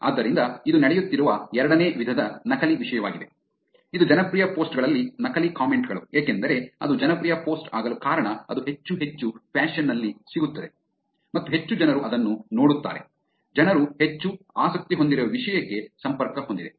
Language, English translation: Kannada, So that is a second type of a fake thing that is going on, which is fake comments on popular posts because the reason why it is popular post is that it gets in more and more fashion, and more people actually get to see it, it is connected to the topic that people are more interested on